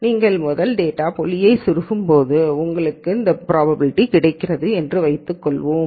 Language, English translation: Tamil, Let us say the first data point when you plug in you get a probability this